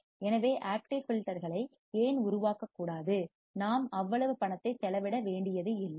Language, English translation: Tamil, So, why not to make up active filters when, we do not have to spend that much money